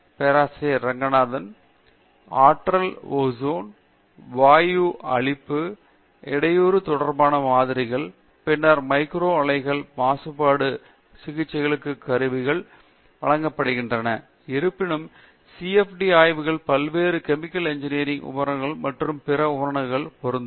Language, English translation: Tamil, Example related to energy ozone, gasification, biolysis then micro reactors are supplied to pollution treatment devices although then CFD studies applied to various chemical engineering equipments and other equipments as well